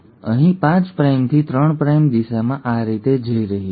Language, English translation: Gujarati, Now here the 5 prime to 3 prime direction is going this way